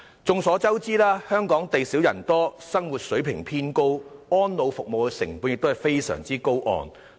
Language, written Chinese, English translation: Cantonese, 眾所周知，香港地少人多，生活水平偏高，安老服務的成本非常高昂。, As we all know Hong Kong is a small and densely populated city with a relatively high living standard and the costs of providing elderly care services here are extremely high